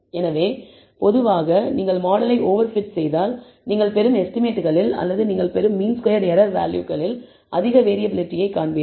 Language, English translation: Tamil, So, typically if you over fit the model, you will find high variability in your estimates that you obtain or the mean squared error values that you obtain